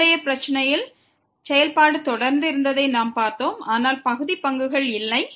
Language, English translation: Tamil, In the earlier problem, we have seen the function was continuous, but the partial derivatives do not exist